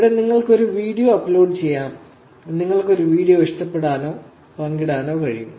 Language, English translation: Malayalam, Here, again you can do, you can upload a video, you can actually like or share a video